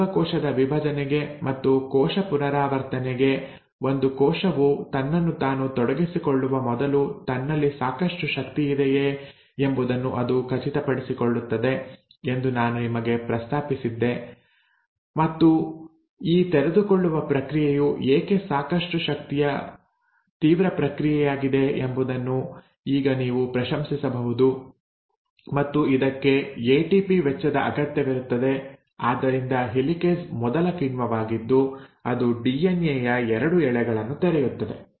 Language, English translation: Kannada, I mentioned to you during cell cycle that before a cell commits itself to cell division and cell replication it ensures that sufficient energy is there and now you can appreciate why because this process of unwinding is a pretty energy intensive process and it does require expenditure of ATP, so helicase is the first enzyme which will come and open up the 2 strands of DNA